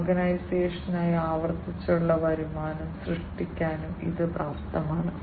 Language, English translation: Malayalam, And it is also capable of generating recurrent revenues for the organization